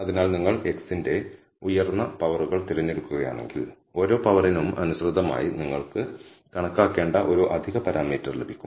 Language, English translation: Malayalam, So, if you choose higher powers of x, then corresponding to each power you got a extra parameter that you need to estimate